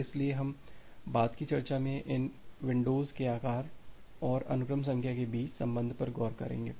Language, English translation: Hindi, So, we will look into the relation between these windows size and the sequence numbers in the subsequent discussion